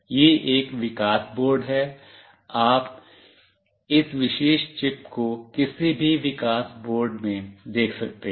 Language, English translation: Hindi, This is a development board, you can see this particular chip in any development board